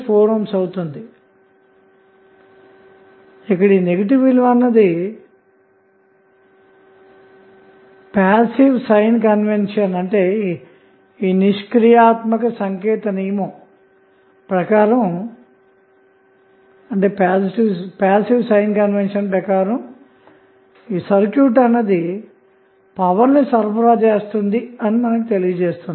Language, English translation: Telugu, Now, the negative value of resistance will tell us that according to the passive sign convention the circuit is supplying power